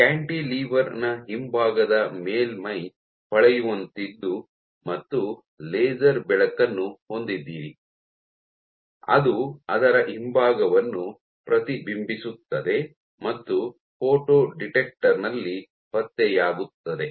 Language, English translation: Kannada, So, this cantilever, so at the back of it, the back surface of the cantilever is shiny and you have a laser light which reflects of its back and gets detected in a photo detector